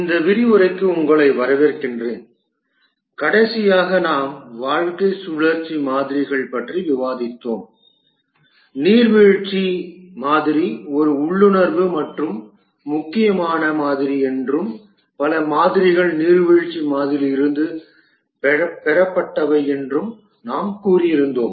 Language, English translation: Tamil, time we were discussing about lifecycle models and we had said that the waterfall model is a intuitive and important model and many models have been derived from the waterfall model